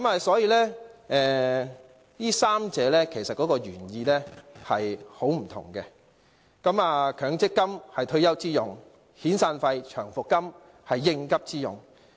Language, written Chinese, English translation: Cantonese, 所以，這三者的原意大不相同，強積金是退休之用，遣散費及長期服務金是應急之用。, The MPF is meant for retirement purposes whereas the severance payments and long service payments are intended for meeting urgent needs